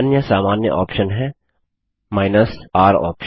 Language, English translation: Hindi, The other common option is the r option